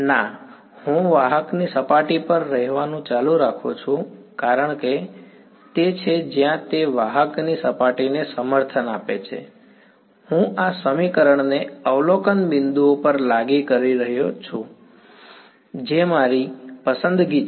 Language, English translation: Gujarati, No, the I continues to live on the surface of the conductor because that is where it is that is its support the surface of the conductor right, I am enforcing this equation at the observation points which is my choice